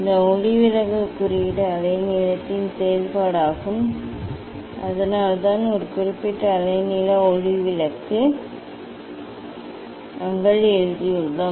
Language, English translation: Tamil, this refractive index is a function of wavelength that is why we have written for a particular wavelength of light